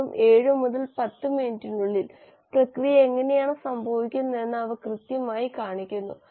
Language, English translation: Malayalam, In just 7 to 10 minutes, they exactly show you how the process is happening